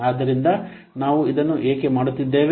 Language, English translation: Kannada, So because why we are doing this